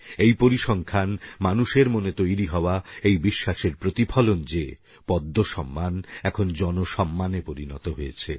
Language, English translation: Bengali, This statistic reveals the faith of every one of us and tells us that the Padma Awards have now become the Peoples' awards